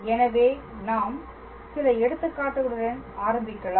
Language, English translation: Tamil, So, let us start with our examples